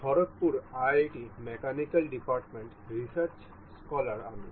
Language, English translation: Bengali, I am research scholar in the Mechanical Department in IIT, Khargpur